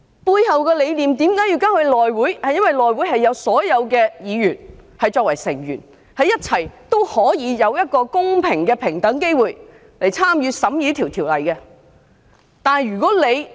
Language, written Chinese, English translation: Cantonese, 這項程序背後的理念是基於所有議員都是內會委員，可以有公平、平等的機會，一起參與審議條例草案。, The rationale behind this procedure is based on the fact that all Members can have fair and equal opportunities to engage in the scrutiny of bills together as members of the House Committee